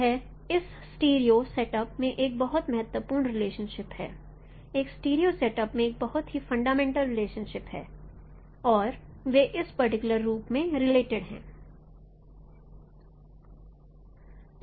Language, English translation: Hindi, It is a very fundamental relationship in your stereo setup and that is they are related by this particular no expression